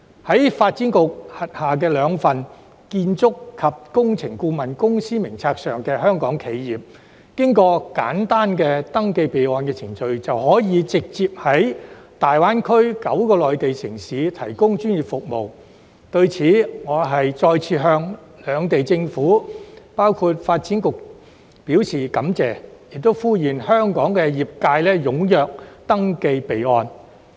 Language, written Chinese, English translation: Cantonese, 在發展局轄下的兩份建築及工程顧問公司名冊上的香港企業，經過簡單的登記備案程序，便可以直接在大灣區9個內地城市提供專業服務。對此我再次向兩地政府，包括發展局，表示感謝，並呼籲香港業界踴躍登記備案。, Hong Kong enterprises which are on the two lists of construction and engineering consultants of the Development Bureau may directly provide professional services in nine Mainland cities of the Guangdong - Hong Kong - Macao Greater Bay Area by going through the simple procedure of registration for records